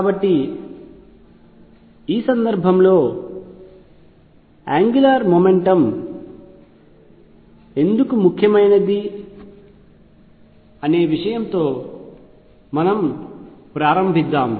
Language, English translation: Telugu, So, let us begin as to why angular momentum becomes important in this case